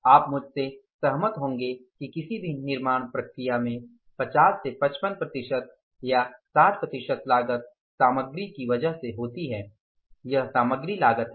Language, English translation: Hindi, You would agree with me that in any manufacturing process 50 to 55 percent or 60 percent cost is because of the material